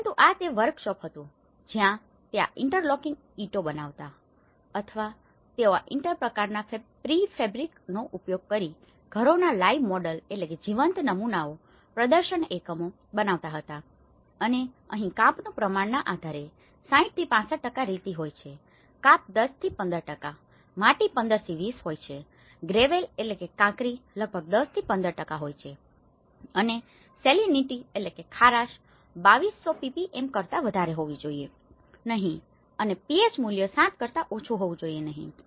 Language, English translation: Gujarati, But this was the workshop of, so, where they used to make these interlocking bricks or they used to make these kind of pre fabrications, making these live models of the houses, demonstration units and the here, based on the silt content and the clay content is 60 to 65% of sand, 10 to 15%, clay is 15 to 20%, gravel is about aggregates are about 10 to 15% and salinity should not be greater than the 1200 ppm and pH value not less than 7